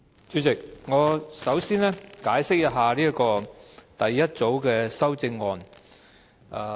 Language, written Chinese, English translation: Cantonese, 主席，首先，我要解釋第一組修正案。, Chairman first of all I would like to explain the first group of amendments